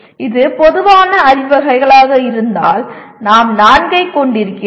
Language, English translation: Tamil, If it is general categories, we are having 4